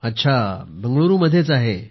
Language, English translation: Marathi, Okay, in Bengaluru